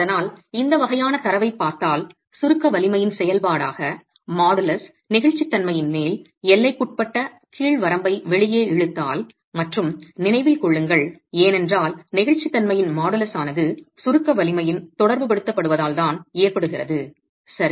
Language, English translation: Tamil, So the point is the if you look at this sort of a data and pull out an upper bound, lower bound of the modulus of elasticity as a function of the compressive strength, and mind you, this is simply because the modulus of elasticity happens to be correlated to the compressor strength, right